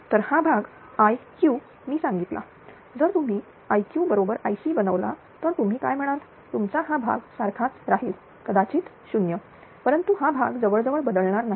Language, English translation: Marathi, So, this part I told you i Q if you made i Q is equal to I C then your what you call this ah your this part will remains same this may be 0, but this part will almost unchanged